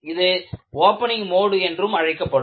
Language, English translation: Tamil, This is also called as Opening Mode